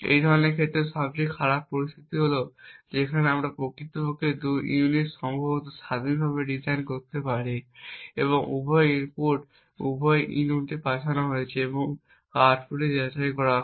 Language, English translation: Bengali, In such cases the worst case situation is where we could actually have two units possibly designed independently and both inputs are sent into both of these units and verified at the output